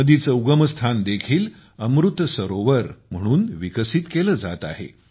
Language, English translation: Marathi, The point of origin of the river, the headwater is also being developed as an Amrit Sarovar